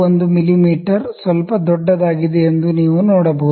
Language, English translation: Kannada, 1 mm is a little larger